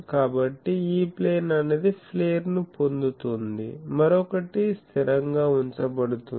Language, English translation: Telugu, So, E plane is getting flare the other one is kept constant